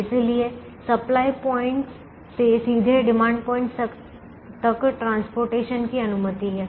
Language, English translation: Hindi, so transportation is permitted from supply points to demand points directly